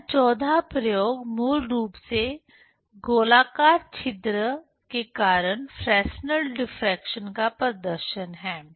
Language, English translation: Hindi, The 14th experiment here is basically demonstration of Fresnel diffraction due to circular aperture